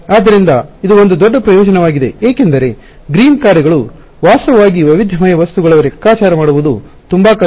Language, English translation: Kannada, So, this is one big advantage because green functions are actually very difficult to calculate in heterogeneous objects and so, on